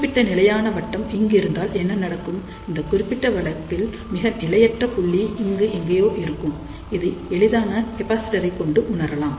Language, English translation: Tamil, So, what happens, if this particular stability circle is somewhere over here, then in that particular case you can say that the most unstable point will be somewhere here and that can be realized by simply a capacitor